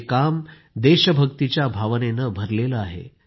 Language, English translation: Marathi, This work is brimming with the sentiment of patriotism